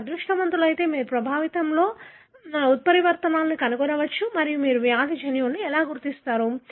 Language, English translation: Telugu, If you are lucky, you can find mutations in the affected and that is how you identify the disease gene